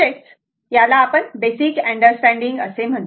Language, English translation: Marathi, This is the, your what you call basic understand that means